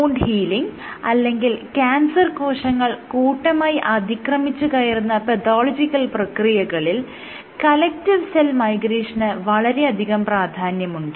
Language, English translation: Malayalam, So, collective cell migration is applicable to let us say wound healing or even in pathological processes where cancer cells invade collectively